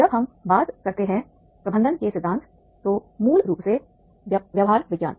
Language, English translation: Hindi, The theories of management basically when we talk about the behavioral science